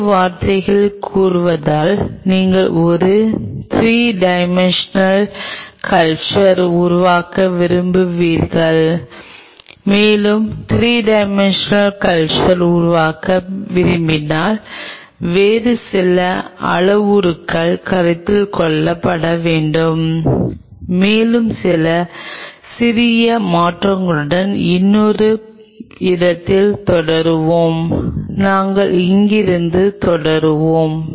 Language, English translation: Tamil, In other word you wanted to make a 3 dimensional culture and if you wanted to make a 3 dimensional culture then there are few other parameters which has to be considered and we will just continue in another with few slight changes we will continue from here